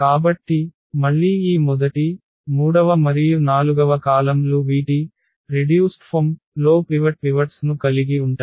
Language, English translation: Telugu, So, again this first column third and forth they are the columns which have the pivots in their reduced in its reduced form